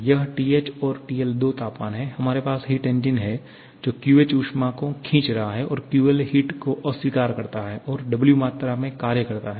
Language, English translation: Hindi, This TH and TL are the two temperatures, we have the heat engine which is drawing QH amount of heat rejecting QL amount of heat and producing W amount of work